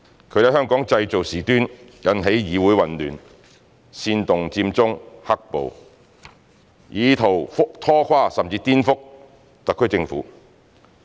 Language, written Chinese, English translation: Cantonese, 他們在香港製造事端，引起議會混亂，煽動佔中行動及"黑暴"事件，以圖拖垮甚至顛覆特區政府。, They made trouble in Hong Kong created chaos in the Council instigated the Occupy Central movement and the black - clad riots in an attempt to paralyse or even subvert the SAR Government